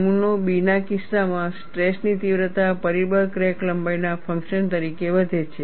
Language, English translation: Gujarati, In the case of specimen B, stress intensity factor increases as a function of crack length